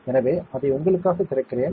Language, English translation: Tamil, So, let me open it for you